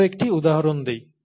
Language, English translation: Bengali, Let me give you one more example